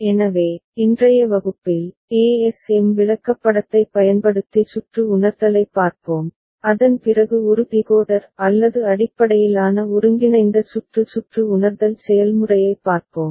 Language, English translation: Tamil, So, in today’s class we shall look at circuit realization using ASM chart and after that we shall look at a Decoder OR based combinatorial circuit realization process ok